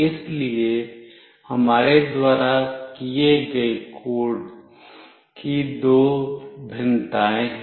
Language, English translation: Hindi, So, there are two variation of the code that we have done